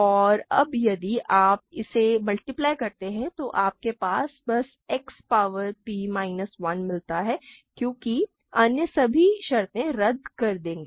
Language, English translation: Hindi, And now if you multiply this out what you get is simply X power p minus 1 because all the other terms will cancel out, right